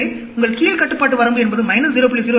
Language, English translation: Tamil, So, your lower control limit will be minus 0